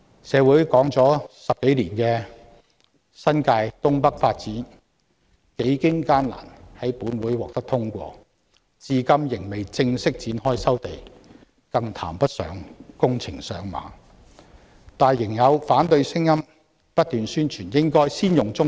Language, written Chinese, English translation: Cantonese, 社會討論了10多年的新界東北發展，幾經艱難終在立法會獲得通過，但至今仍未正式展開收地程序，更談不上展開工程，但有反對者仍然不斷提出應該先開發棕地。, The North East New Territories development which had been under discussion for over 10 years in society was finally approved in the Legislative Council against all odds . Yet to date the land resumption procedure has not yet commenced let alone the construction works but some opponents have persistently proposed that brownfield sites be developed first